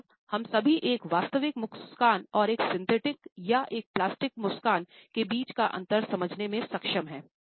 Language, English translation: Hindi, Almost all of us are able to understand the difference between a genuine smile and a synthetic or a plastic smile